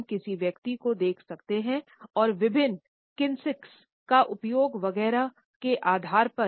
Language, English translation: Hindi, We could look at a person and on the basis of different kinesics use etcetera, we could form a particular opinion